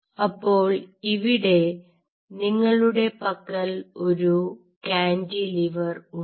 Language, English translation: Malayalam, so here you have a cantilever right